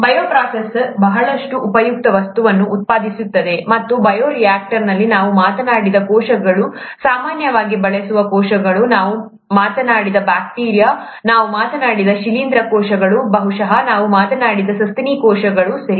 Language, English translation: Kannada, The bioprocess produces a lot of useful substances, and, in the bioreactor, the cells that we talked about, the cells that are used typically the bacteria that we talked about, the fungal cells that we talked about, maybe mammalian cells that we talked about, right